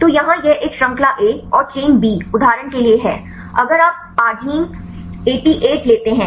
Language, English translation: Hindi, So, here this is a chain A and chain B for example, if you take the arginine 88 right